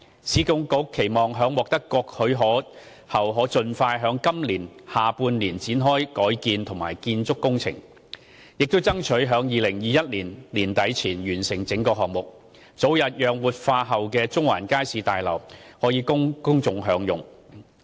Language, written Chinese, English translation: Cantonese, 市建局期望在獲得各項許可後，盡快於今年下半年開展改建及建築工程，並爭取於2021年年底前完成整個項目，早日讓活化後的中環街市大樓供公眾享用。, URA expects to commence the alteration and construction works in the second half of this year as soon as the various approvals are obtained and will endeavour to complete the revitalization project before the end of 2021 for early enjoyment by the public